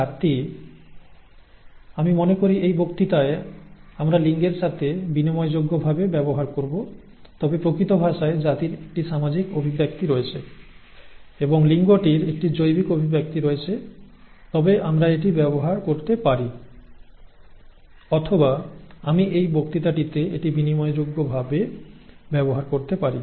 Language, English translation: Bengali, Now, gender I think in this lecture we would use interchangeably with sex but in actual terms gender has a social connotation and sex has a biological connotation but we could use this, or I could use this interchangeably in this lecture